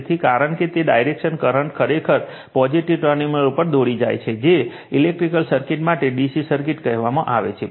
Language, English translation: Gujarati, So, as it is direction current actually leads the positive terminal for your your what you call for electric circuit say DC circuit right